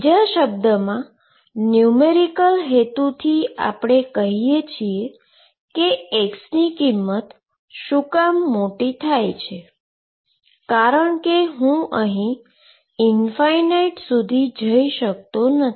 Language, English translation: Gujarati, In other words for numerical purposes we can say that as x goes to a large value why because numerically I cannot really go to infinity